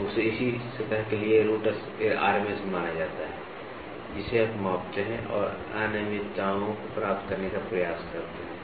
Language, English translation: Hindi, So, this is called as root RMS value for the same surface you measure and try to get the irregularities